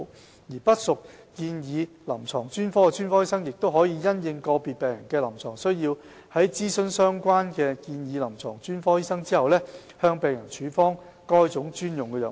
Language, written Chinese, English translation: Cantonese, 至於不屬建議臨床專科的專科醫生，亦可因應個別病人的臨床需要，在諮詢相關的建議臨床專科醫生後，向病人處方該專用藥物。, Specialists other than those recommended clinical specialties may also prescribe special drugs according to the clinical needs of individual patients upon consultation with the latter